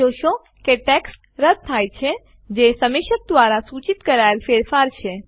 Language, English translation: Gujarati, You will see that the text gets deleted which is the change suggested by the reviewer